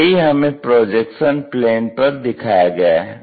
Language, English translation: Hindi, So, same thing what we can observe it on this projection plane